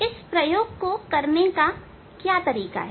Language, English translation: Hindi, What is the procedure for doing experiment